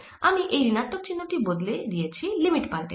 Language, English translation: Bengali, i have change the minus sign and change the limits